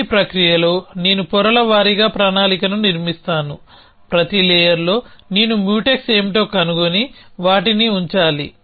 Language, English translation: Telugu, So, in this process, I construct the planning a layer by layer, at every layer I have to find what are the Mutex and put them in